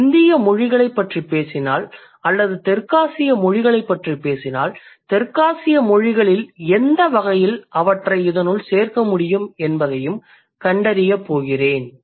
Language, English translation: Tamil, And if I talk about Indian languages or for that matter, South Asian languages, then I'm going to figure out what are the South Asian languages and which type can I add them in this category